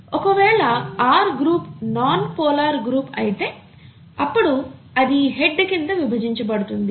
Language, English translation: Telugu, If the R group happens to be a nonpolar group, then it is grouped under this head